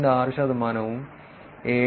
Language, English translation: Malayalam, 6 percent and 7